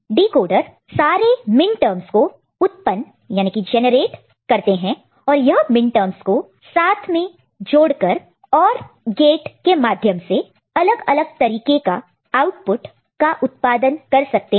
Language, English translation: Hindi, And decoder essentially generates all the minterms and these minterms can be combined together with OR gates to produce many different kind of output